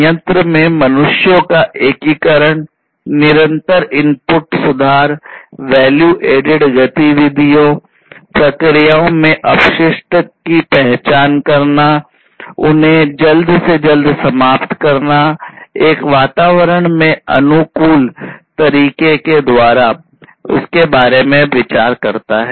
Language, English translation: Hindi, Concerns about the integration of humans in the plant; concerns about continuous input improvement; concerns on the value added activities; and identifying waste in the processes and eliminating them, as soon as possible, in an environment friendly manner